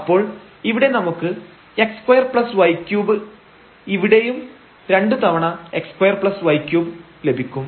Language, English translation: Malayalam, So, this x square y cube here also we have 2 times x square y cube